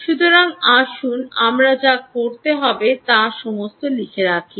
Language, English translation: Bengali, so lets put down all what we need to do, ah, um